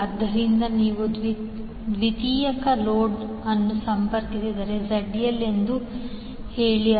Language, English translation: Kannada, So, if you connect load at the secondary side say Zl